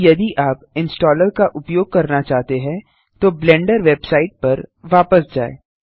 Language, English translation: Hindi, Now if you want to use the installer, lets go back to the Blender Website